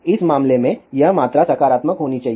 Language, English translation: Hindi, In this case, this quantity should be positive